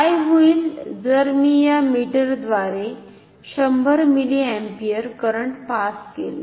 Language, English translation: Marathi, So, now, if I connect this meter and pass 10 milliampere current through this